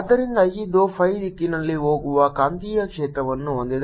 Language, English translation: Kannada, so this has a magnetic field going in the phi direction